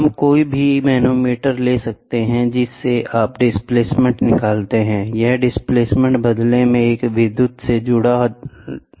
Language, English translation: Hindi, We have any manometer; we can take any manometer so, what you get out of it is displacement, this displacement, in turn, can be attached to an electrical